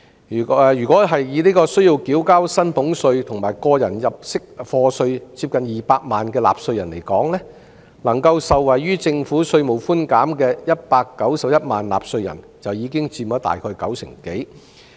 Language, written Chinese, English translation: Cantonese, 若以需要繳交薪俸稅和個人入息課稅的接近200萬名納稅人而言，能夠受惠於政府稅務寬免的191萬名納稅人佔其中九成多。, Among the some 2 million taxpayers who have to pay salaries tax and tax under personal assessment 1.91 million taxpayers or over 90 % will benefit from the Governments tax concession